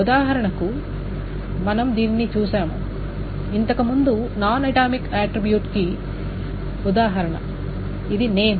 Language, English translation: Telugu, For example, we saw an example of a non atomic attribute earlier, which is a name